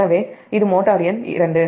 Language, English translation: Tamil, and this is motor two